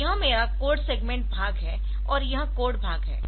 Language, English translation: Hindi, So, this is my code segment part this is the code part